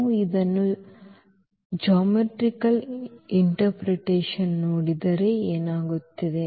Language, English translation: Kannada, So, if we look at this geometrically what is happening